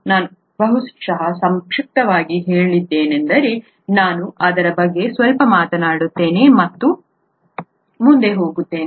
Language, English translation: Kannada, I probably briefly mentioned that in the passing earlier, let me talk a little bit about that and then go further